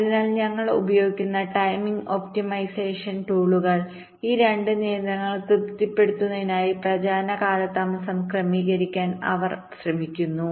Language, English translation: Malayalam, so the timing optimization tools that we use, they try to adjust the propagation delays to satisfy these two constraints